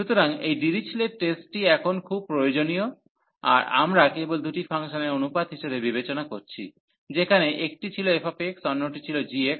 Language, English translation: Bengali, So, this Dirichlet test is very useful now that we have just consider as a ratio of the two function again one was f x, and another was g x